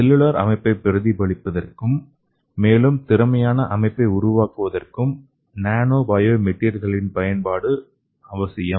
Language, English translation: Tamil, And again the application of nano biomaterials is necessary to both better biomimic the cellular system and also to construct a more efficient system than the nature itself